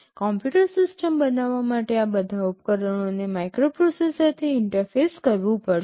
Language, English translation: Gujarati, To make a computer system we have to interface all these devices with the microprocessor